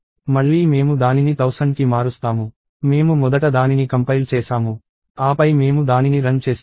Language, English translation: Telugu, So, again I change it to thousand, I compile it first, then I run it